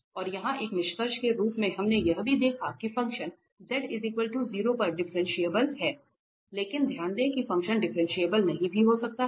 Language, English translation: Hindi, And here as a conclusion, we also observed that the function is actually differentiable at z equal to 0 but note that function may not be differentiable